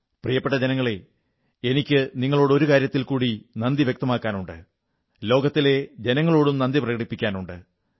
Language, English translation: Malayalam, My dear countrymen, I must express my gratitude to you and to the people of the world for one more thing